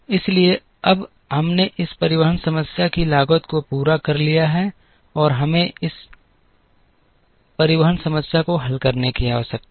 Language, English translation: Hindi, So, now we have completed the cost for this transportation problem, and we now need to solve this transportation problem